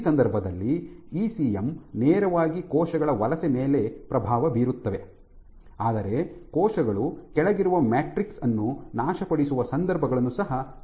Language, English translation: Kannada, So, this is one case where the ECM directly influences cell migration, but you can also have situations where cells can degrade the matrix underneath